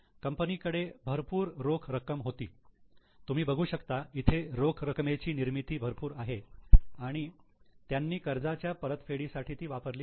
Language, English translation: Marathi, Since company had a lot of cash, you can see here, they had good cash generation, they have used it for repaying their loans